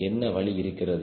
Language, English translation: Tamil, what is option